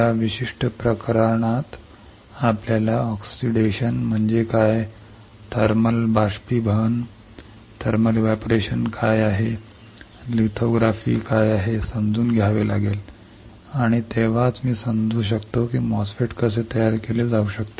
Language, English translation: Marathi, In that particular case we have to understand what is oxidation, what is thermal evaporation , what is lithography, and only then I can understand how the MOSFET can be fabricated